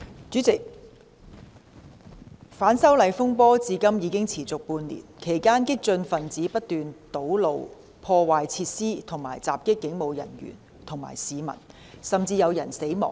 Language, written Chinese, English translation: Cantonese, 主席，反修例風波至今已持續半年，其間激進分子不斷堵路、破壞設施及襲擊警務人員和市民，甚至有人死亡。, President the disturbances arising from the opposition to the proposed legislative amendments have persisted for half a year during which the radicals have incessantly blocked roads vandalized facilities and attacked police officers and members of the public and some people even died